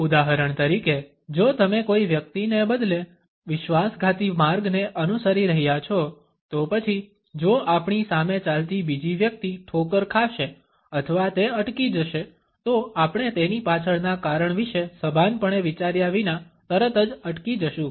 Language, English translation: Gujarati, For example, if you are following a person only rather treacherous path; then if the other person who is walking in front of us stumbles or he stops we would immediately stop without consciously thinking about the reason behind it